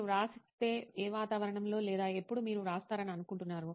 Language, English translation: Telugu, If at all you write, in what environment or when do you think you probably write